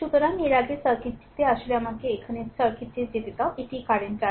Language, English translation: Bengali, So, earlier in the circuit actually just let me go to go to the circuit right here this is the current i